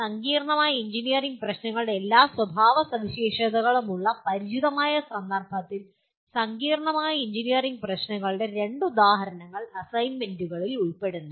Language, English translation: Malayalam, The assignments include, give two examples of complex engineering problems in the context you are familiar with, that have all the characteristics of complex engineering problems